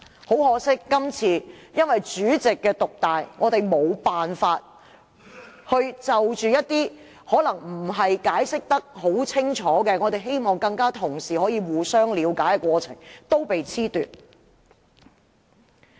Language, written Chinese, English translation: Cantonese, 很可惜，這次因為主席權力獨大，令我們無法就一些解釋得不夠清楚的修訂建議與議員同事互相討論，加深了解。, Unfortunately owing to the dominant power of the President we cannot discuss with Honourable colleagues for a better understanding of the amendment proposals which have not been clearly explained